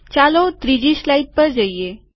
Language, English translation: Gujarati, Lets go to the third slide